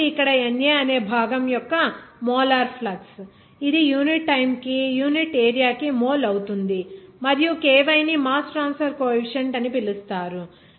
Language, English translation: Telugu, So, NA here molar flux of the component A that will be mole per unit area per unit time and also ky will be called as mass transfer coefficient